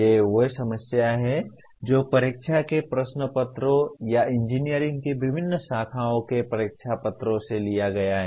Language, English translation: Hindi, These are the types of problems that taken from the examination papers or test papers from various branches of engineering